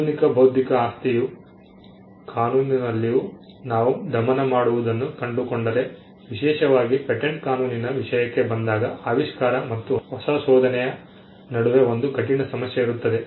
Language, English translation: Kannada, If we find strangle even in modern intellectual property law, where especially when it comes to patent law there is a conundrum between discovery and invention